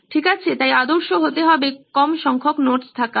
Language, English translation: Bengali, Okay, so that’s why ideal would be to be at low number of notes